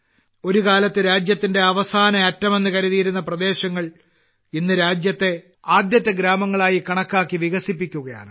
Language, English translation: Malayalam, The areas which were once considered as the last point of the land are now being developed considering them as the first villages of the country